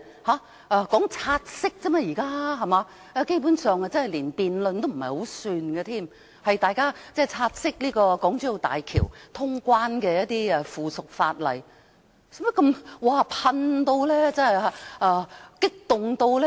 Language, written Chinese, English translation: Cantonese, 現在只是說"察悉議案"而已，基本上不算是辯論，是大家察悉港珠澳大橋通關的附屬法例，何需如此激動？, We are now at a motion to take note of a report and it basically cannot be regarded as a debate . We just have to take note of the subsidiary legislation regarding the clearance of the Hong Kong - Zhuhai - Macao Bridge . Why do they have to be agitated?